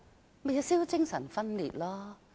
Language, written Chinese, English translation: Cantonese, 這豈不是精神分裂？, This is Schizophrenia is it not?